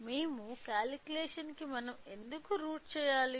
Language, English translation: Telugu, If we root to the calculation why do we have to do